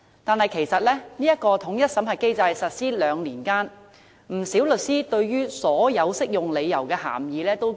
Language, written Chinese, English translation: Cantonese, 但是，在這個統一審核機制實施兩年間，不少律師覺得所有適用理由的涵義十分模糊。, Two years into the implementation of the unified screening mechanism many lawyers have found the meaning of applicable grounds considerably ambiguous